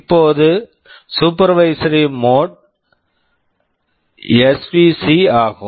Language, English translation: Tamil, Now, the supervisory mode is svc